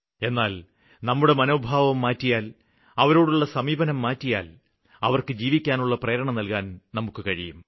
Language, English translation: Malayalam, But if we change our outlook and our perspective towards them, then these people can inspire us to live